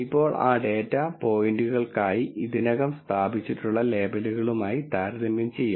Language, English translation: Malayalam, Now that can be compared with the already established labels for those data points